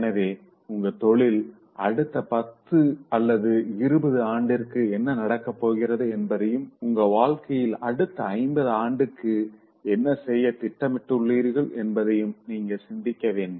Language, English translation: Tamil, So you should think of what's going to happen to you after 10 years of your career, 20 years of your career, 50 years of your lifetime, what are you planning to do